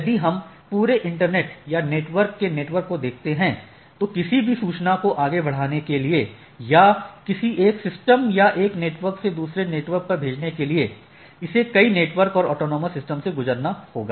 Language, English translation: Hindi, So, if you see that if we look at the whole internet or network of networks, so there are in order to push this or any forwarding any information from one system or one network to another, it has to hop through several networks and autonomous systems right